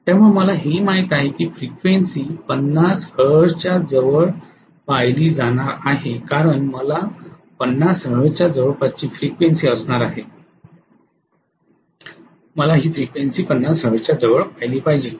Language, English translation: Marathi, So I know also that the frequency is going to be really close to 50 hertz because I am going to have the grid frequency close to 50 hertz, I want this frequency also close to 50 hertz